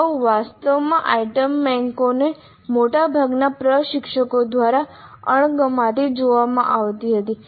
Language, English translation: Gujarati, Earlier actually item banks were viewed with disfavor by most of the instructors